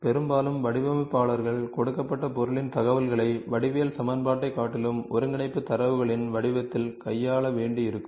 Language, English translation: Tamil, Often designers will have to deal with informations of a given object in the form of coordinate data rather than geometric equation